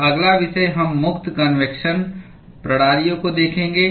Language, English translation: Hindi, And the next topic we will look at free convection systems